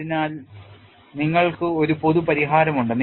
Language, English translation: Malayalam, So, you have a generic solution